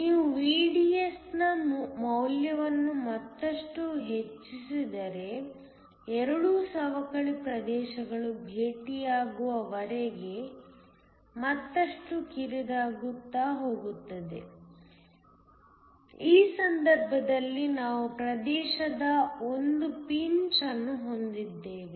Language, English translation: Kannada, If you increase the value of VDS further there is going to be further narrowing until both the depletion regions meet, in which case we will have a pinch of region